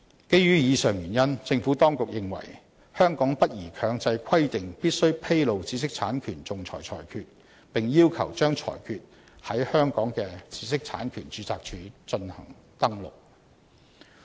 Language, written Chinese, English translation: Cantonese, 基於以上原因，政府當局認為香港不宜強制規定必須披露知識產權仲裁裁決，並要求把裁決在香港的知識產權註冊處進行登錄。, For the aforementioned reasons the Administration considers that it is not appropriate to require mandatory disclosure of IPR arbitral awards and their recordal with IPR registries in Hong Kong